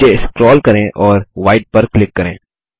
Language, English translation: Hindi, Scroll down and click on white